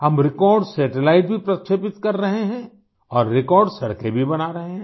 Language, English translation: Hindi, We are also launching record satellites and constructing record roads too